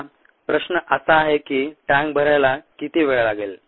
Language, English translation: Marathi, now the question is: how long would it take to fill a tank